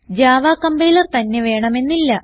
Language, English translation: Malayalam, We do not need java compiler as well